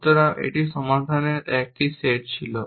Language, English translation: Bengali, So, it was a set of solutions